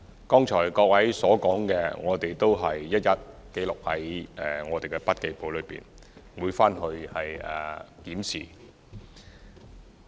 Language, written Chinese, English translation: Cantonese, 剛才各位所說的，我們都一一記錄在筆記簿內，回去後會作檢視。, We have jotted down different views of Members in our notebooks and will conduct a review after the meeting